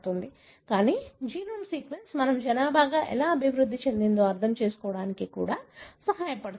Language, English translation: Telugu, But, the genome sequence also helps us to understand how we evolved as a population